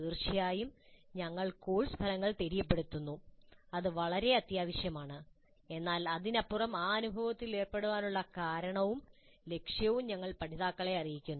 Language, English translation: Malayalam, So certainly we communicate course outcomes that is very essential but beyond that we also inform the learners the reason for and purpose of engaging in that experience